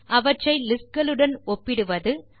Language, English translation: Tamil, Compare them with lists